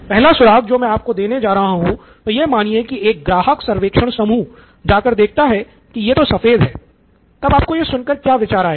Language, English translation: Hindi, So the first clue that I am going to give you is, so let’s say a customer survey group went and found out that hey it is white, so what are your ideas for